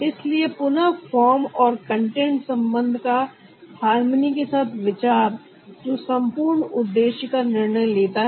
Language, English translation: Hindi, so, again, the consideration of form and content relationship in correspondence to harmony, that decided the whole objective